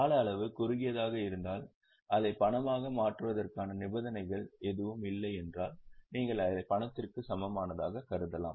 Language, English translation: Tamil, If the time period is short and there are no conditions attached for its conversion into cash, then you can consider it as a cash equivalent